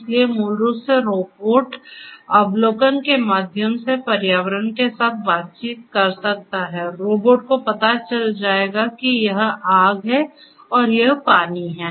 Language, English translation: Hindi, So, basically the robot can through observations interactions with the environment robot will know that this is fire whereas; this is water